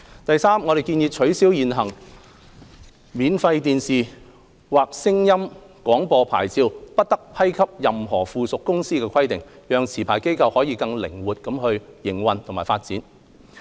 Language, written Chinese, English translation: Cantonese, 第三，我們建議取消現行免費電視或聲音廣播牌照不得批給任何附屬公司的規定，讓持牌機構可更靈活營運和發展。, Thirdly we recommend removing the current requirement that a free TV or sound broadcasting licence must not be granted to a subsidiary with a view to facilitating more flexible operation and development of licensees